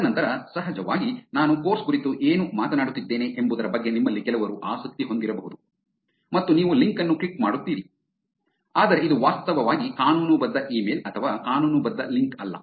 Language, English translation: Kannada, And then, of course, some of you may be interested in what I am speaking about the course and you will click on the link, but it is not actually a legitimate email or a legitimate link